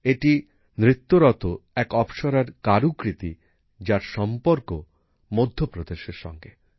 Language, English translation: Bengali, This is an artwork of an 'Apsara' dancing, which belongs to Madhya Pradesh